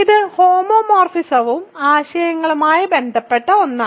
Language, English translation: Malayalam, So, this is something related to homomorphisms and ideals